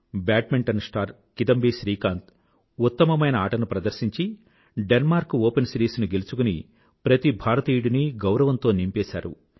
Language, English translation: Telugu, Badminton star Kidambi Srikanth has filled every Indian's heart with pride by clinching the Denmark Open title with his excellent performance